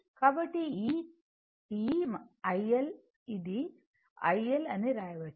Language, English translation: Telugu, So, this i L; it can be written it can be written as say i L